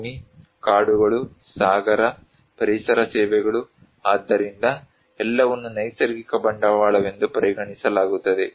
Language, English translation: Kannada, Land, forests, marine, environmental services, so all are considered to be natural capital